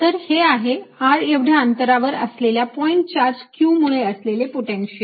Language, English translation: Marathi, so this is the potential due to a point charge q at a distance r from it